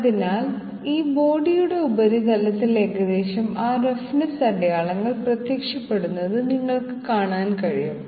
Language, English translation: Malayalam, So you can see roughly those roughness marks appearing on the surface of this body